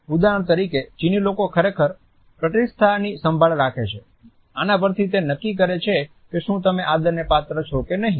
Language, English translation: Gujarati, For example, Chinese people really care for status this is what determines if you deserve respect